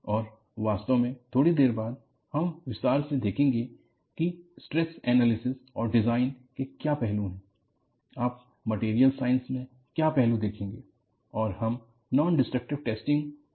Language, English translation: Hindi, And, in fact, a little while later, you will look at in detail, what aspects that you will do in Stress Analysis and Design, what aspects you will do in Material Science, and what aspects do we look for in the Non Destructive Testing